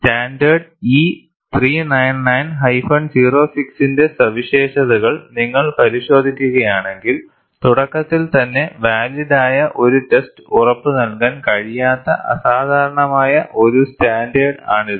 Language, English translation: Malayalam, And if you look at features of standard E 399 06, it is an unusual standard that a valid test cannot be assured at the outset